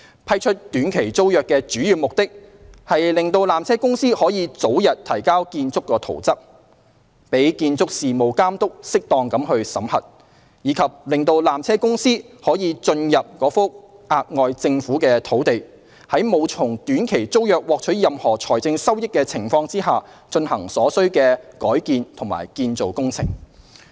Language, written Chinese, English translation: Cantonese, 批出短期租約的主要目的是讓纜車公司可早日提交建築圖則，供建築事務監督適當審核，以及讓纜車公司得以進入該幅額外政府土地，在沒有從短期租約獲取任何財政收益的情況下，進行所需的改建及建造工程。, The main purpose of granting the STT to PTC is to enable PTCs early submission of the relevant building plans for the proper scrutiny of BA and provide PTC with access to the additional Government land for carrying out the necessary alteration and construction works without deriving any financial gain from the STT